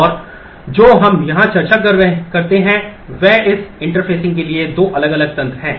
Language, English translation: Hindi, And what we discuss here is two different mechanisms for this interfacing